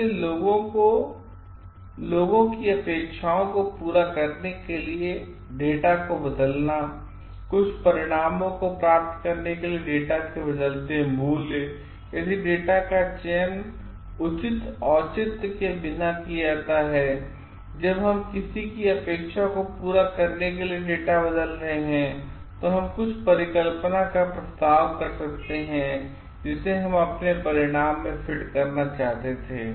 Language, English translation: Hindi, So, changing data to fit ones expectations, changing value of data to get certain results, if data selection is done without proper justification, when we are changing data to fit one's own expectation, we may have propose certain hypothesis that we wanted to fit our results